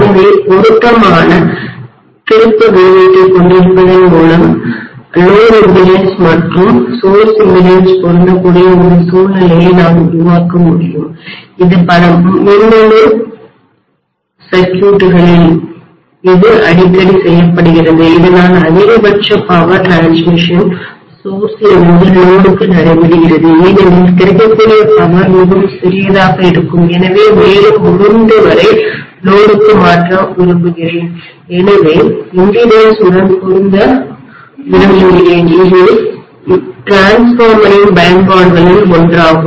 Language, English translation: Tamil, So by having an appropriate turns ratio I can create a situation such that the load impedance and the source impedances are matched this is done very often in many of the electronic circuits, so that the maximum amount of power transfer takes place to the load from the source because the available power itself will be pretty small and I want to transfer as much as possible to the load, so I would like to match the impedance, this is one of the applications of transformer